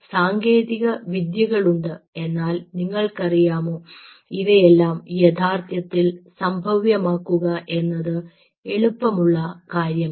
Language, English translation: Malayalam, technology is there but really, to you know, make it happen the way it is, it is not something so easy